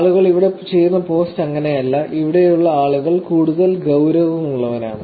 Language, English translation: Malayalam, So, that is not the kind of post that people will, people here are more serious